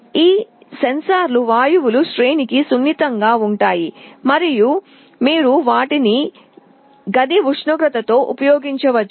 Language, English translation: Telugu, These sensors are sensitive to a range of gases and you can use them in room temperature